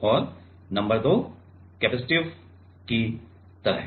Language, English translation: Hindi, And, number 2 is like capacitive